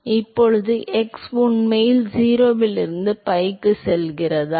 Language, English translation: Tamil, So, now, x really goes from 0 to pi